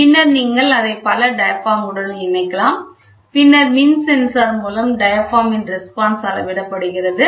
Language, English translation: Tamil, Then you can attach it with multiple diaphragms, then, the diaphragm response is measured to an electrical sensor we saw